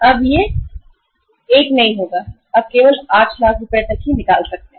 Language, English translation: Hindi, It will not be now 1 lakh you can only withdraw up to 8 lakh rupees